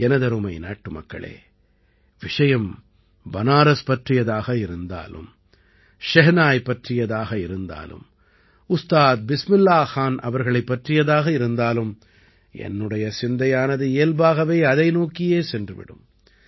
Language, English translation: Tamil, My dear countrymen, whether it is about Banaras or the Shehnai or Ustad Bismillah Khan ji, it is natural that my attention will be drawn in that direction